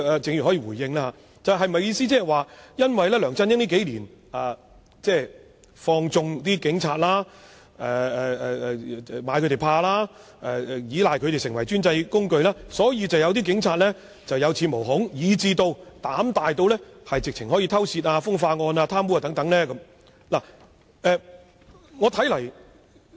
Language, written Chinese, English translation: Cantonese, 鄭議員是否認為，梁振英數年來放縱或懼怕警員，以及倚賴他們作為專制的工具，導致有些警員有恃無恐，甚至膽大至干犯刑事罪行，包括盜竊、風化及貪污等？, Does Dr CHENG think that due to LEUNG Chun - yings connivance or fear of police officers in the past few years and his reliance on the Police to be the tool of autocratic rule some police officers have thus become fearless or even bold enough to commit criminal offences including theft sex crimes and corruption?